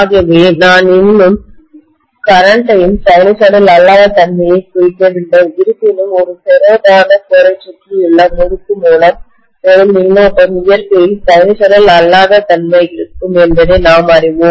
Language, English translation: Tamil, So we are not still representing the non sinusoidal nature of the current although we know that the current drawn by the winding which is wound around a ferromagnetic core will be non sinusoidal in nature